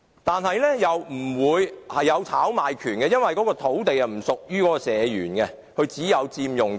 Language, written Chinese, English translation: Cantonese, 但是，又不會出現炒賣潮，因為土地不屬於社員，他只有佔用權。, At the same time it will not lead to speculation activities as the land does not belong to society members; they only have the right to occupy the flats built on the land